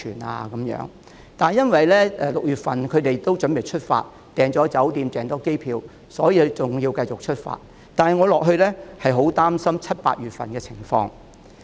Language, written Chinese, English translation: Cantonese, 然而，由於6月份的行程已預訂了酒店、機票，所以要如期出發，但繼續下去，我很擔心七八月份的情況。, Since hotels and flights bookings for trips in June have been made in advance trips departed as scheduled . Yet if the situation continues I am worried about the situation in July and August